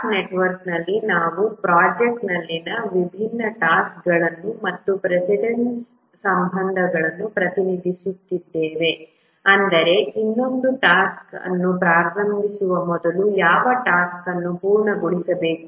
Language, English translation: Kannada, In the task network, we represent the different tasks in the project and also the precedence relationships, that is, which task must complete before another task can start